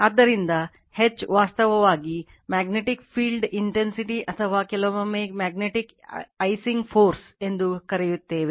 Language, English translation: Kannada, So, H is actually magnetic field intensity or sometimes we call magnetizing force right